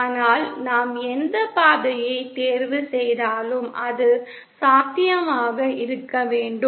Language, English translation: Tamil, But whichever path we choose, it should be feasible